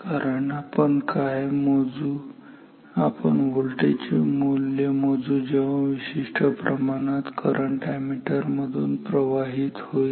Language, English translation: Marathi, Because what we measure we measure the value of this voltage for a particular amount of current through this ammeter